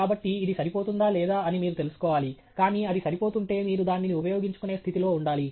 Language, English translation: Telugu, So, you need to find out whether it is adequate, but if it is adequate, you should be in a position to use it